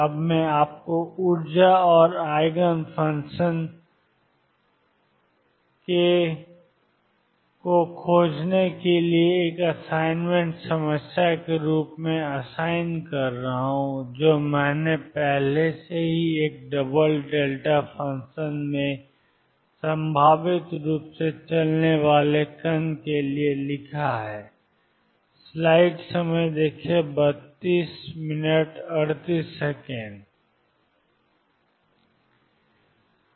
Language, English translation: Hindi, Now this I will be assigning you as an assignment problem to find the energy and eigenfunctions actually eigenfunctions I have already written for a particle moving in a double delta function potentially